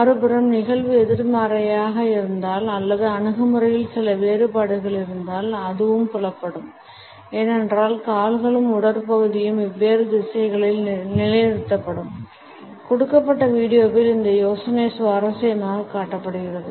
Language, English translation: Tamil, On the other hand, if the instance is negative or there is certain diffidence in the attitude it is also perceptible because the feet and torso would be positioned in different directions; this idea is interestingly shown in the given video